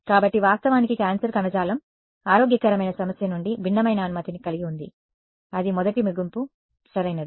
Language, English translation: Telugu, So, of course, cancerous tissue has different permittivity from healthy issue that was the first conclusion right